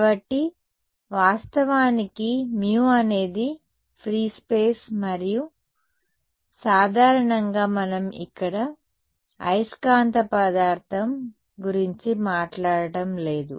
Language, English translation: Telugu, So, of course, mu is that of free space and in general we are not talking about magnetic material over here